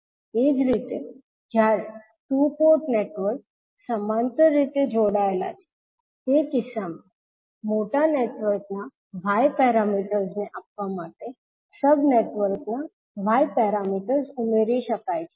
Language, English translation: Gujarati, Similarly, in the case when the two port networks are connected in parallel, in that case Y parameters can add up to give the Y parameters of the larger network